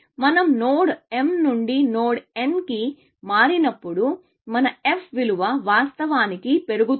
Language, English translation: Telugu, As we move from node m to node n, our f value actually increases, essentially